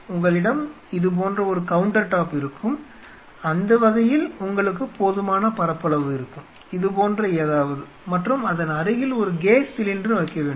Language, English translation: Tamil, And you will have a countertop something like this, that way you will have sufficient surface area, something like this and adjacent to it you have to keep a gas cylinder